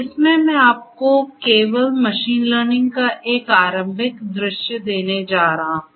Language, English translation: Hindi, In this, I am going to give you only an expository view of machine learning